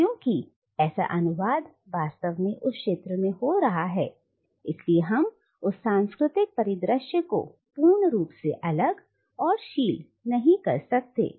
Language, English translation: Hindi, But since such a translation is actually taking place in that field we cannot really regard that cultural landscape as completely isolated and sealed